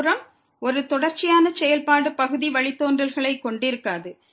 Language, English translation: Tamil, On the other hand, a continuous function may not have partial derivatives